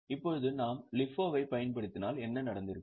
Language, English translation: Tamil, Now if we would have been using LIFO, what would have happened